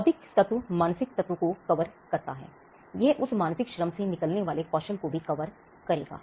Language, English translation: Hindi, Intellectual covers that mental element, it would also cover skills that come out of that mental labor